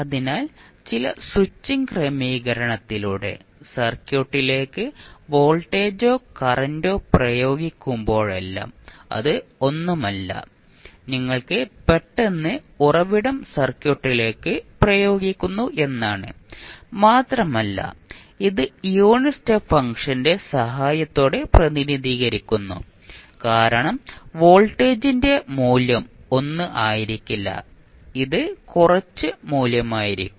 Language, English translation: Malayalam, So, whenever you apply voltage or current to the circuit through some switching arrangement it is nothing but you suddenly apply the source to the circuit and it is represented with the help of the unit step function because the value of voltage will not be 1 it will be some value